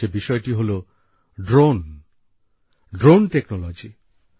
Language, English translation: Bengali, This topic is of Drones, of the Drone Technology